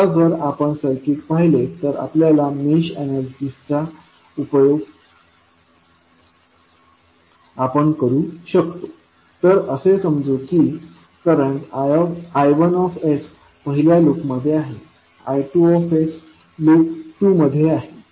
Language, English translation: Marathi, Now, if you see the circuit you can utilize the mesh analysis so let us say that the current I1s is in the first loop, I2s is in loop 2